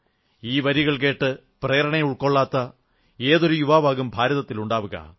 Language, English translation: Malayalam, Where will you find a young man in India who will not be inspired listening to these lines